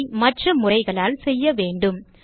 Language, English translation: Tamil, It must be done by other methods